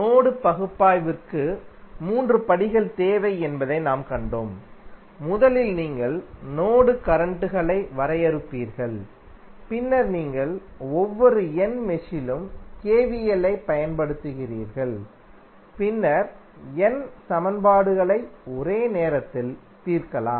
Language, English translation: Tamil, And we saw that the three steps are required for the mesh analysis we have you will first define the mesh currents then you apply KVL at each of the n mesh and then solve the n simultaneous equations